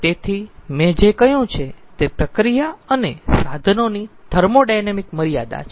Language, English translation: Gujarati, so the what i have told that there is thermodynamic limitation of process and equipment